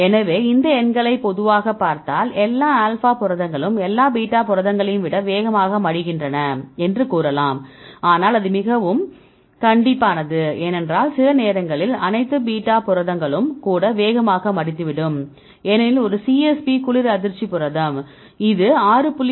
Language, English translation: Tamil, So, if you look into these numbers generally you can say that all alpha proteins fold faster than all beta proteins, but that is start very strict because sometimes even all beta proteins can also fold fast because the one CSP the cold shock protein; it folds at 6